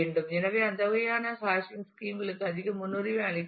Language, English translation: Tamil, So, those kind of hashing schemes should be more preferred